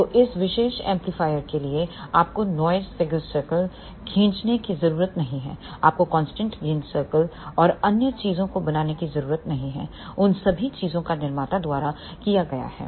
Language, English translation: Hindi, So, for this particular amplifier you do not have to draw noise figure circle you do not have to draw constant gain circle and other thing, all those things have been done by the manufacturer